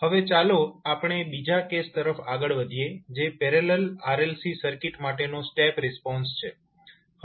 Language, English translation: Gujarati, Now, let us move on to the second case that is step response for a parallel RLC circuit